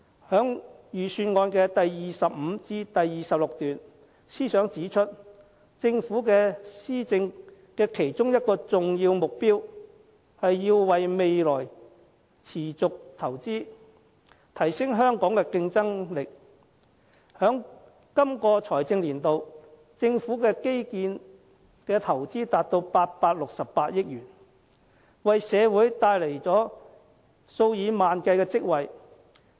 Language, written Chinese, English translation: Cantonese, 在預算案第25至26段，司長指出，政府施政的其中一個重要目標是要為未來持續投資，提升香港的競爭力，在這個財政年度，政府在基建的投資達868億元，為社會帶來數以萬計職位。, In paragraphs 25 to 26 of the Budget the Financial Secretary points out one of the important objectives of the Government which is to invest continuously for the future of Hong Kong and enhance our competitiveness . In this financial year the Government will invest 86.8 billion in infrastructure and this will create tens of thousands of jobs